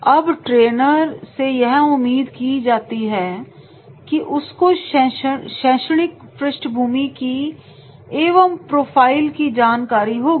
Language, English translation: Hindi, Now, trainer is expected to know the academic background and the profile background of the participants